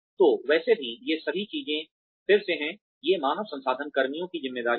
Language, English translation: Hindi, So anyway, all of these things are again, these are the responsibilities of the human resources personnel